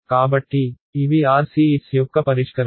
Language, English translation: Telugu, So, this is RCS calculations ok